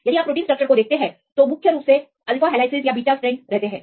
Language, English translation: Hindi, If you see protein structures, predominantly you can see the occurrence of alpha helices or beta strands